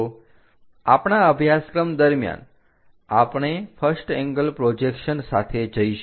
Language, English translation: Gujarati, So, throughout our course we go with first angle projection